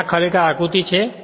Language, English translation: Gujarati, Now, this is actually figure